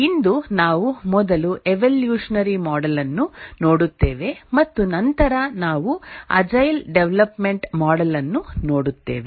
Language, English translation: Kannada, Today we will first look at the evolutionary model and then we will look at the agile development model